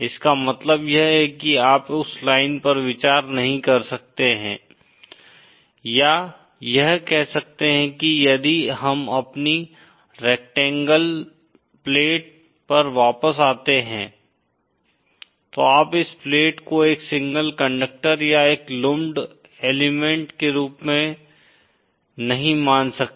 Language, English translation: Hindi, What that means is, you cannot consider that line or say if we go back to our rectangle plate, you can no longer consider this plate as a single conductor or a lumped element